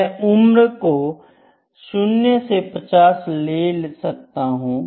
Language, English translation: Hindi, I can show age from 0 to 50 years, ok